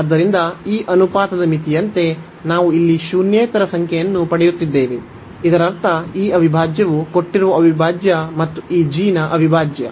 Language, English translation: Kannada, So, we are getting a non zero number here as the limit of this ratio that means, this integral the given integral and the integral of this g